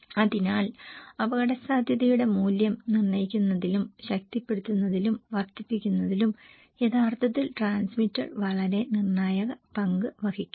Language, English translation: Malayalam, So, they are actually transmitter play a very critical role in deciding, reinforcing and amplifying the value of the risk